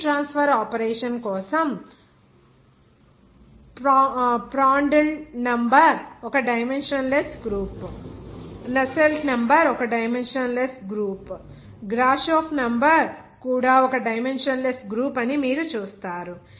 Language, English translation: Telugu, Whereas for heat transfer operation, you will see that Prandtl number is one dimensionless group Nusselt number is one dimensionless group, even Grashof number